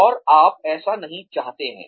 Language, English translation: Hindi, And, you do not want that to happen